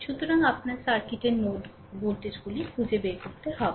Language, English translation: Bengali, So, you have to find out the node voltages of the circuit